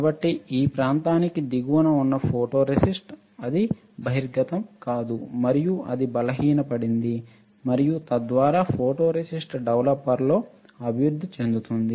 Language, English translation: Telugu, So, photoresist which is below this area, it will not be exposed and it got weaker and then it got developed in the photoresist developer, correct